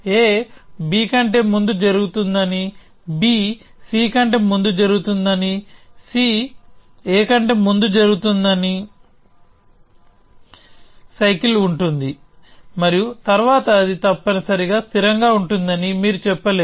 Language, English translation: Telugu, You cannot say that a happen before b and b happens before c and c happens before a, then you have a cycle and then that is not consistent essentially